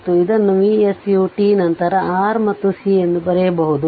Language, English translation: Kannada, And it can be written as V s u t then R and C